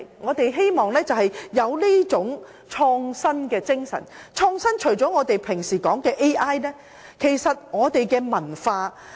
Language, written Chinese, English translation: Cantonese, 我們應擁有這種創新精神，而創新除了我們經常說的 AI 外，還包括文化。, We should have this innovative spirit but our innovation should go beyond artificial intelligence that we often talk about and extend to the area of culture